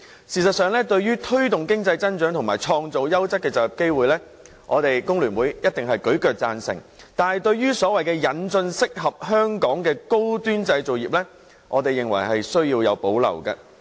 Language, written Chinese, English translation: Cantonese, 事實上，對於推動經濟增長和創造優質就業機會，香港工會聯合會定必大力贊成，但對所謂引進適合香港的高端製造業這一點，我們則有所保留。, In fact when it comes to the promotion of economic growth and creation of quality job opportunities the Hong Kong Federation of Trade Unions FTU will certainly render it strong support . Yet regarding the so - called introduction of high - end manufacturing industries suitable for Hong Kong we have reservations